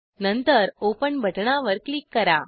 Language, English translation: Marathi, Then, click on the Open button